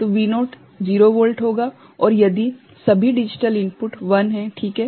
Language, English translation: Hindi, So, V naught will be 0 volt right and if all a digital input are 1 ok